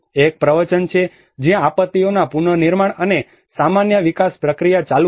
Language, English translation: Gujarati, One is a discourse, where the disasters the reconstructions and the usual development process work on